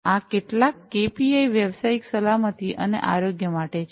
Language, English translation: Gujarati, So, these are some of these KPIs for occupational safety and health